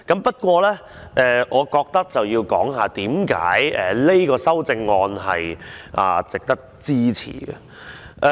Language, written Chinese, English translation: Cantonese, 不過，我認為要講解這項修正案為何值得支持。, However I consider that I should explain why this amendment does merit our support